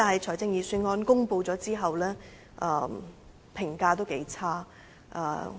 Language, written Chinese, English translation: Cantonese, 但是，在預算案公布後，評價頗差。, However the evaluation of the Budget after its publication has been quite poor